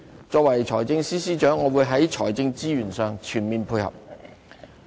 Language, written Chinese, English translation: Cantonese, 作為財政司司長，我會在財政資源上全面配合。, As the Financial Secretary I will fully collaborate in terms of fiscal resources